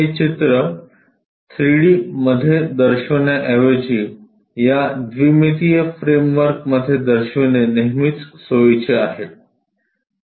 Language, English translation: Marathi, It is always convenient to show it in this 2 dimensional framework instead of showing this 3 D picture